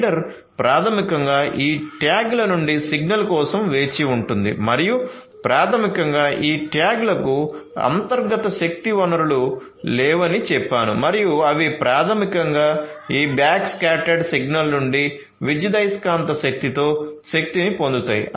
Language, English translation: Telugu, So, the reader basically will wait for a signal from these tags and basically as I said that these tags do not have any internal power source and they are basically powered by electromagnetic energy from this backscattered signal